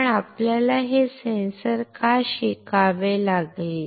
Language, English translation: Marathi, But why we have to learn this sensor